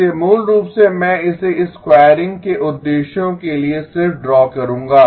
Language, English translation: Hindi, So basically I will just draw it for the purposes of squaring